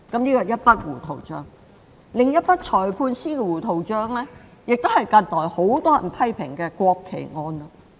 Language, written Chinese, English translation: Cantonese, 另一筆有關裁判官的糊塗帳是近來很多人批評的國旗案。, Recently there is another messy case involving the judgment of magistrates ie . the widely criticized national flag case